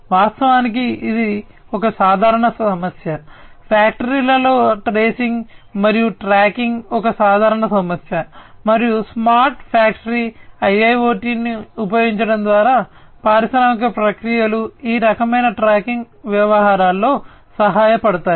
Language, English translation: Telugu, And this is a common problem actually, you know tracing and tracking is a common problem in factories, and through the use of smart factory IIoT for smart factory the industrial processes will help in this kind of tracking affairs